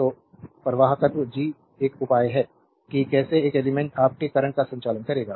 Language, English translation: Hindi, So, conductance G is a measure of how well an element will conduct your current